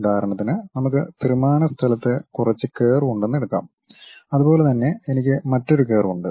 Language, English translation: Malayalam, For example, let us take I have some curve in 3 dimensional space similarly I have another curve